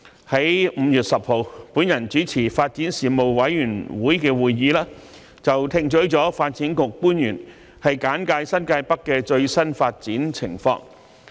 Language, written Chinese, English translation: Cantonese, 在5月10日由我主持的發展事務委員會會議上，我們聽取了發展局官員簡介新界北的最新發展情況。, At the meeting of the Panel on Development chaired by me on 10 May we were briefed on the latest developments in New Territories North by officials of the Development Bureau